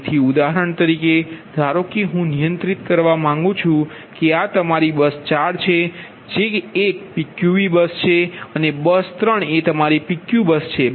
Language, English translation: Gujarati, so, for example, suppose i want to control this is your, this is your pq v bus, this bus code is a pqv bus and bus three is your pq bus